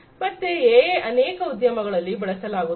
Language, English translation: Kannada, So, AI has found use in different industries